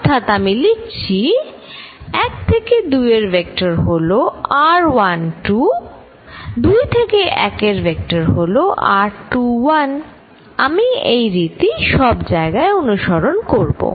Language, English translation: Bengali, So, let me write vector from 1 2 as r 1 2, vector from 2 to 1 as r 2 1, I follow this convention all throughout